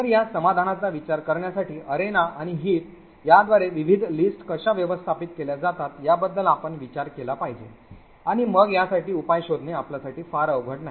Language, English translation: Marathi, So, in order to think of this solution you must think about how the various lists are managed by the arena and by the heat and then it would not be very difficult for you to actually find a solution for this